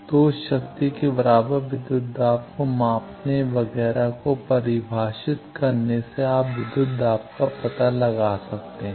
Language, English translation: Hindi, So, measuring from that power the way equivalent voltages, etcetera define you can find out the voltages